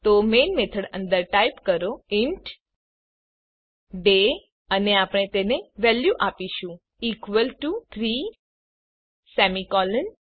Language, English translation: Gujarati, So type inside the main method int day and we can give it a value equal to 3 semi colon